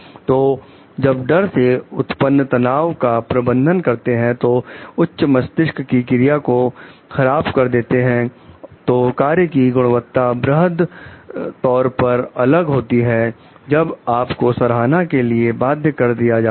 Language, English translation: Hindi, So, while managing through fear generate stress, which impairs higher brain function, the quality of work is vastly different when we are compelled by appreciation